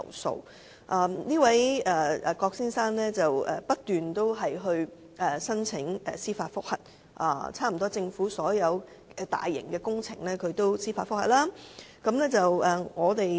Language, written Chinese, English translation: Cantonese, 這位郭先生不斷申請法援提出司法覆核，差不多政府所有大型工程，他都提出司法覆核。, This Mr KWOK has continuously applied for legal aid to lodge judicial reviews . He has lodged judicial reviews on almost all the large - scale projects of the Government